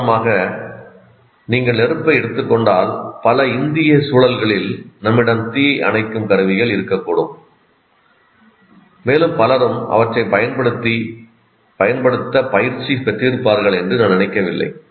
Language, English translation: Tamil, For example, if you take the fire, in many of the Indian contexts, while we may have fire extinguishers and so on, and I don't think many of the people do get trained with respect to that